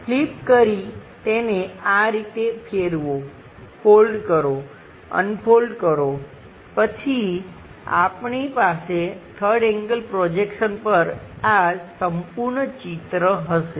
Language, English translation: Gujarati, Flip that rotate these things at suitable locations, fold, unfolding kind of thing, then we will have this complete picture on three3rd angle projection